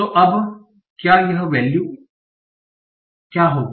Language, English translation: Hindi, So now what will be this value